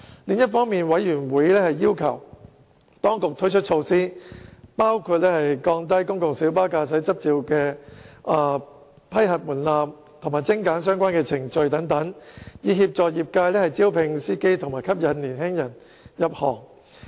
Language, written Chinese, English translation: Cantonese, 另一方面，委員要求當局推出措施，包括降低公共小巴駕駛執照的批核門檻及精簡相關程序等，以協助業界招聘司機及吸引年青人入行。, On the other hand members have requested the Administration to introduce measures such as lowering the threshold of granting PLB driving licences and streamlining the relevant procedures to facilitate recruitment of drivers by the trade and attracting young people to join the trade